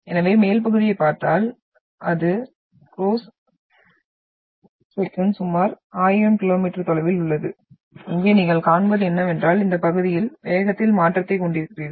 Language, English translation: Tamil, So if you look at the upper part, it is around thousand kilometres of the cross section, what you see here is you are having the change in the velocity here at this part